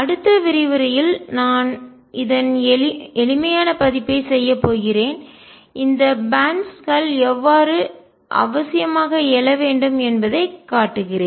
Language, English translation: Tamil, In the next lecture I am going to do a simplified version of this and show how these bands should necessarily arise